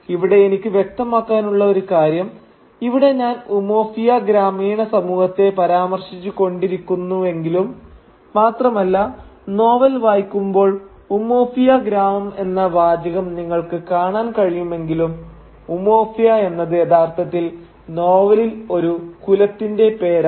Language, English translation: Malayalam, Now here I would like to clarify a point that though I keep referring to the village society of Umuofia and though even while reading the novel you will come across the phrase “the village of Umuofia”, Umuofia is actually the name of a clan in the novel